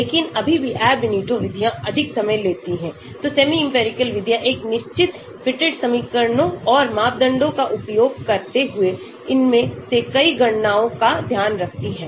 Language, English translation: Hindi, but still Ab initio methods take more time, so semi empirical methods take care of many of these calculations using a certain fitted equations and parameters